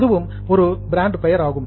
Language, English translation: Tamil, That's also a brand name